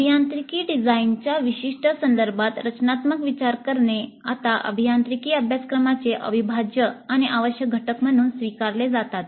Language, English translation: Marathi, Design thinking in the specific context of engineering design is now accepted as an integral and necessary component of engineering curricula